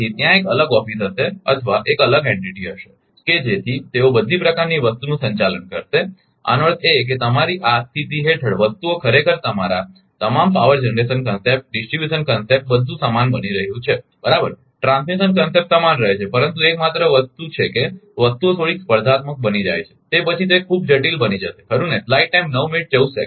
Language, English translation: Gujarati, So, there will be a separate office, or separate entity right such that they will handle all sort of thing; that means, ah your under this condition things becoming actually all the power generation concept distribution concept everything remains same right transmission concept remain same, but only thing is that things becoming little bit of competitive, then it will become complicated too right